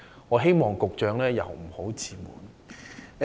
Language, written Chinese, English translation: Cantonese, 我希望局長不要自滿。, I hope the Secretary will not be complacent